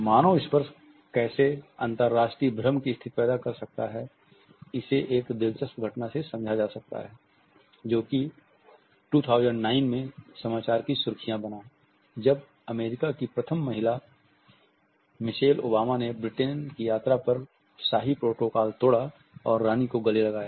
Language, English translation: Hindi, How human touch can initiate international confusions can be understood by this interesting event which made a headline in 2009, when Americas first lady Michelle Obama broke royal protocol on a visit to Britain and hug the Queen